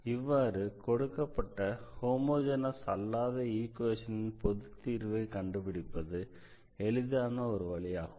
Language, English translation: Tamil, So, this is one way of getting the solution of this such a non homogeneous